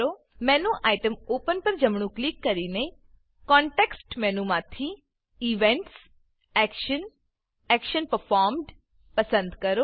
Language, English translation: Gujarati, Right click the Menu Item Open and choose Events, Action, Action Performed from the context menu